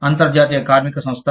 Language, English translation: Telugu, International Labor Organization